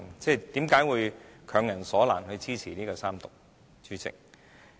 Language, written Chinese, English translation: Cantonese, 為何會強人所難？要支持三讀，主席？, President why do they force Members to support the Third Reading of the Bill?